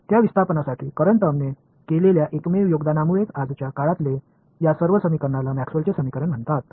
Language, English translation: Marathi, It is because of his singular contribution of that displacement current term that all of these equations in today’s they are called Maxwell’s equations